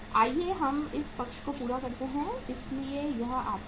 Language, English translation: Hindi, Let us total this side so this works out as how much